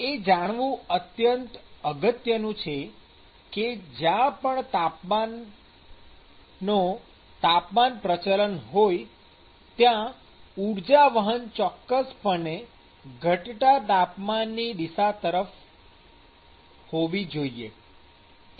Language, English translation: Gujarati, So, it is important to recognize that when there is a temperature gradient, the energy transfer must actually happen in the direction of the decreasing temperature